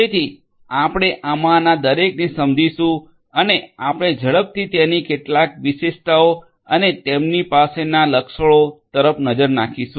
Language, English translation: Gujarati, So, we will take up each of these and we will just quickly we will glance through some of their highlights or the features that they have